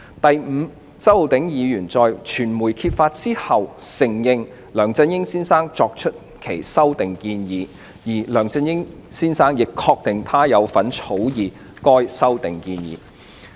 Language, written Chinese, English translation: Cantonese, 第五，周議員在傳媒揭發後，承認梁先生作出有關的修訂建議，而梁先生亦確定他有份草擬修訂建議的文件。, Fifthly after the case had been disclosed by the media Mr CHOW admitted that the amendments were proposed by Mr LEUNG while Mr LEUNG also admitted that he had participated in the drafting of the document containing these proposed amendments